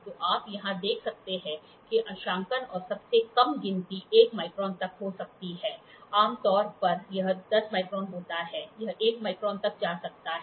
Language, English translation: Hindi, So, you can see here graduations and the least count can be up to 1 micron; generally it is 10 microns, it can go up to 1 microns